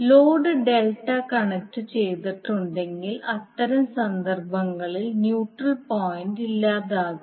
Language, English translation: Malayalam, Now if the load is Delta connected, in that case the neutral point will be absent